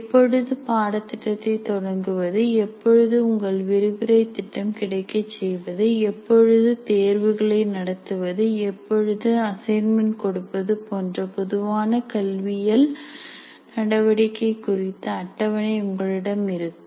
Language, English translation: Tamil, You have schedule of what do you call normal academic activities, when should the course start, and when should your lecture plan that you are required to provide and when do you conduct that tests or when do you give assignments